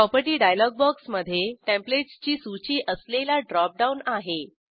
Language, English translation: Marathi, Property dialog box contains Templates with a drop down list